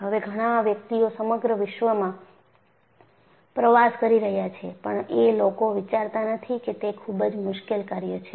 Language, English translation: Gujarati, Now, every other person travels across the globe; people do not even think that it is a difficult task